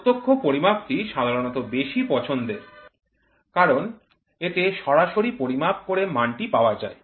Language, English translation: Bengali, Direct measurements are generally preferred so that I directly measure and get the value